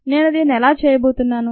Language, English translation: Telugu, thats how we are going to do it